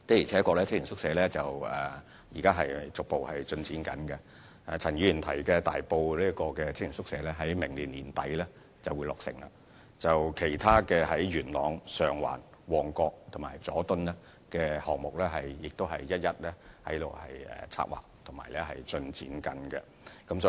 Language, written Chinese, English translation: Cantonese, 青年宿舍現時正逐步取得進展，而陳議員提及的大埔宿舍亦將於明年年底落成，其他在元朗、上環、旺角和佐敦的項目也正在策劃和進展階段。, The one in Tai Po as mentioned by Mr CHAN will also be completed at the end of next year . Other youth hostel projects in Yuen Long Sheung Wan Mong Kok and Jordan are also either under planning or in progress